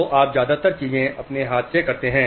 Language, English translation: Hindi, So you do most of the things with your hand